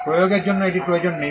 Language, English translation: Bengali, No need for enforcement it is not required